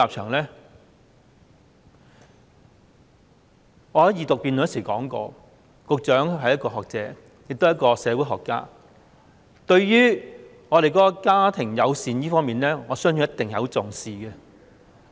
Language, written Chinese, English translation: Cantonese, 我在《條例草案》二讀辯論時說過，局長是一位學者，亦是一位社會學家，對於家庭友善，我相信他一定很重視。, As I said at the debate on the Second Reading of the Bill I believed that the Secretary being a scholar and a sociologist has attached great importance to family - friendliness